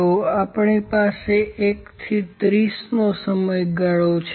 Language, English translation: Gujarati, So, we have the period from 1 to 30